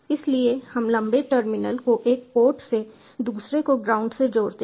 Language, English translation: Hindi, so we connect the longer terminal to one, put other to the ground